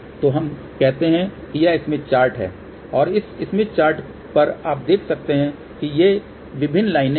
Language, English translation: Hindi, So, let us say this is the smith chart and on this smith chart, you can see various these lines are there